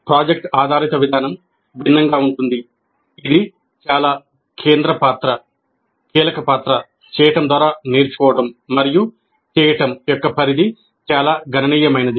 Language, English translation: Telugu, The project based approach is different in that it accords a very central role, a key role to learning by doing and the scope of doing is quite substantial